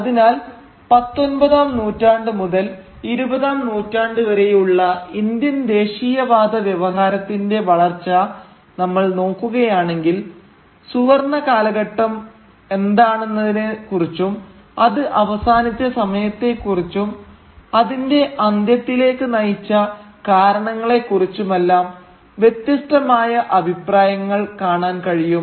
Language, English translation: Malayalam, Thus, if we trace the development of the Indian nationalist discourse from the 19th to the 20th century we will find in it differing opinions about what constitutes the golden age for instance, about the time when it ended, about the reasons which led to its demise and things like that